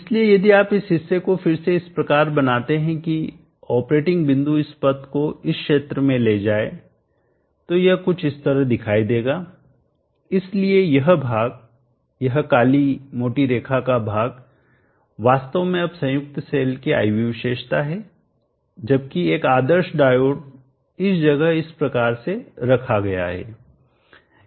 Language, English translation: Hindi, So if you redraw this portion such that the operating point takes this path in this region it will look something like this, so this portion this dark thick line portion is actually now the IV characteristic of the combine cell with an ideal diode put in place like this